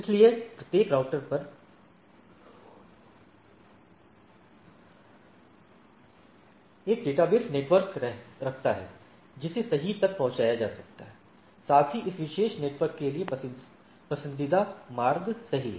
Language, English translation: Hindi, So, each router maintains a database network that can be reached right, plus the preferred route to this particular network right